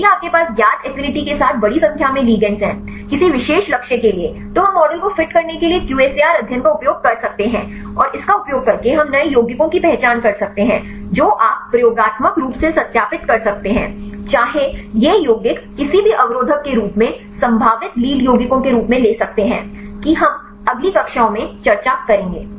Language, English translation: Hindi, If you have a large number of ligands with known affinity; for any particular target then we can use the QSAR studies to fit the model and using that we can identify new compounds that also you can experimentally verify, whether these compounds could lead as an potential lead compounds as any inhibitors; that we will discuss in the next classes